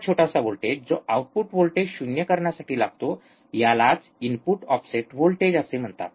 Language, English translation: Marathi, This small voltage that is required to make the output voltage 0 is called the input offset voltage